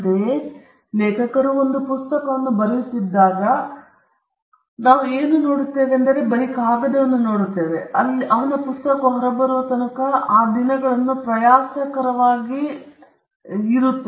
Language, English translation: Kannada, Similarly, when we see an author writing a book, what we see him do is putting the pen on paper, and you see him laboriously doing that days and days together, till his book is done